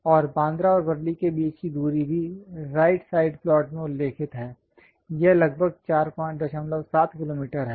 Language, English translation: Hindi, And the distance between Bandra and Worli is also mentioned on the right side plot; it is around 4